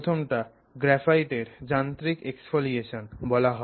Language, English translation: Bengali, So, the first way is this thing called mechanical exfoliation of graphite, mechanical exfoliation of graphite